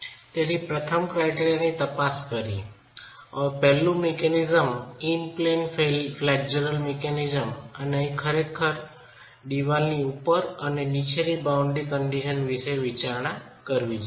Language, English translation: Gujarati, So let's examine the first criterion, the first mechanism, the in plane flexual mechanism and here we are really considering a wall that has boundary conditions at the top and the bottom